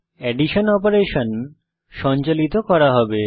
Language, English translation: Bengali, The addition operation will be performed